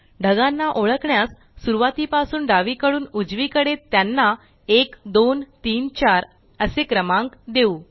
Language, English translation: Marathi, To identify the clouds, lets number them 1, 2, 3, 4, starting from left to right